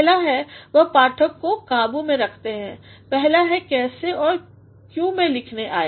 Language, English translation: Hindi, The first is, so he keeps the reader in check; the first is how and why I came to writing